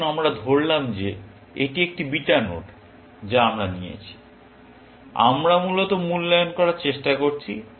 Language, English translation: Bengali, Let us say that this is a beta node that we are about, we are trying to evaluate, essentially